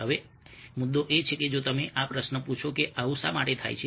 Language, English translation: Gujarati, ok, now the point is that if we ask this question, why is that such a thing happens